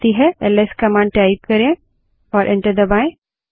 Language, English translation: Hindi, Type the command ls and press enter